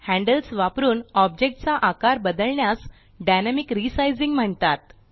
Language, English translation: Marathi, Resizing using the handles of an object is called Dynamic Resizing